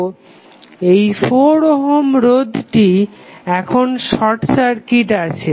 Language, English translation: Bengali, So, the 4 ohm resistance which you see here is now short circuited